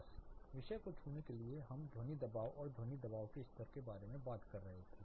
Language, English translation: Hindi, Just to touch space we were talking about sound pressures and sound pressure levels